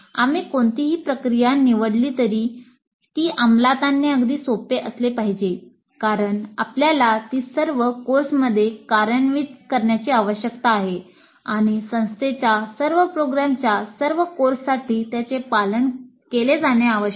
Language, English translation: Marathi, Whatever process we select that must be reasonably simple to implement because we need to implement it across all the courses and it must be followed for all the courses of all programs of an institution